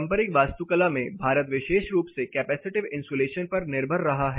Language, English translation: Hindi, Architecture India especially has been relying on capacitive insulation